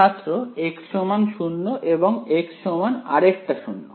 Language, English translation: Bengali, x equal to 0 and x equal to one more 0